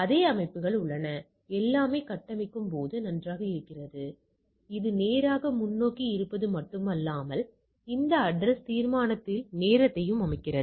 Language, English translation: Tamil, The same systems are there and everything configure then this is fine, not only it is straight forward it is also sets time on this address resolution